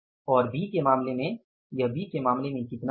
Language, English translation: Hindi, And in case of the B it is going to be how much